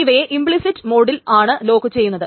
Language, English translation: Malayalam, This is locked in an implicit mode